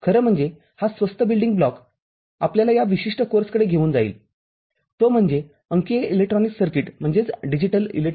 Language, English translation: Marathi, This inexpensive building block actually will take us to this particular course, that is, digital electronics circuit